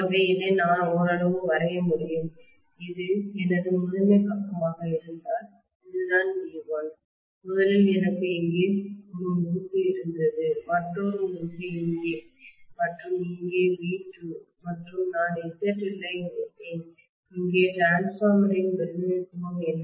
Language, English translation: Tamil, So I should be able to draw it somewhat like this, if this is my primary side, this is what was V1, originally I had one winding here, another winding here and here is V2 and I had connected ZL here this is what was the representation of the transformer